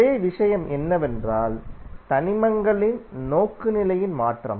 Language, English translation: Tamil, The only thing is that the change in the orientation of the elements